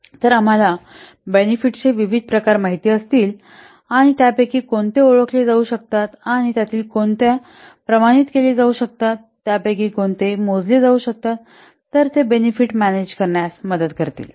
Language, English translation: Marathi, So we have to, if you know the different types of benefits and which of them can be identified, which of them can be quantified, which of them can be measured, then that will help in managing the benefits